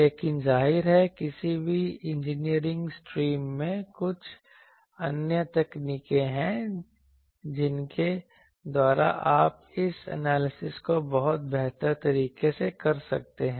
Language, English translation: Hindi, But, obviously, in an any engineering stream there are certain other techniques by which you can perform this analysis in a much better way